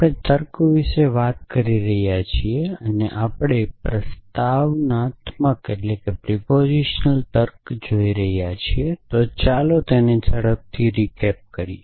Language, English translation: Gujarati, So, we are looking at logic and listening and we are looking at propositional logic, so just to do a quick recap